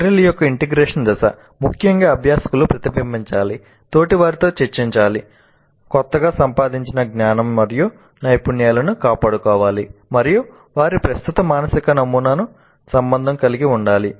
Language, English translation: Telugu, Then the integration, the integration phase of Merrill essentially learners should reflect, discuss with peers, defend their newly acquired knowledge and skills, relate them to their existing mental model